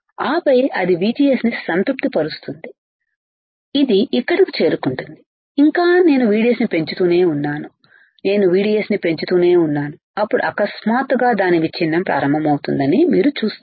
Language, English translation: Telugu, And then it will keep saturating VGS it will reach here still I keep on increasing VDS still I keep on increasing VDS, then suddenly you will see that it starts breakdown